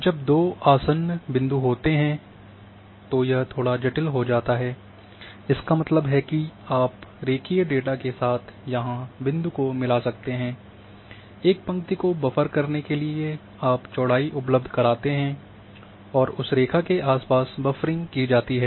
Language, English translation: Hindi, We will see little complicated cases when two adjacent points are there; that means, you can merge the point here with the line data also,buffering a line you give you provide the width and around that line and buffering can be done